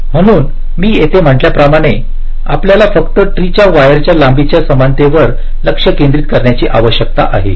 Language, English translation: Marathi, so here, as i had said, we need to concentrate only on equalizing the wire lengths of the tree